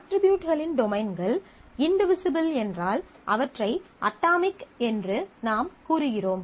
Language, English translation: Tamil, We consider that the domains of attributes are atomic if they are indivisible